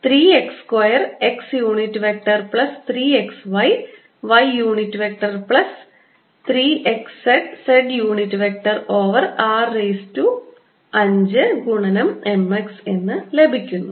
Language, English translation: Malayalam, i am getting three x square x unit vector plus three x, y, y unit vector plus three x, z z unit vector over r raise to five times